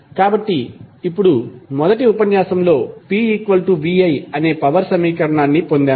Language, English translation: Telugu, So, now in first lecture we derived the equation of power that was P is equal to V I